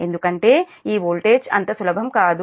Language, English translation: Telugu, this two voltage will not change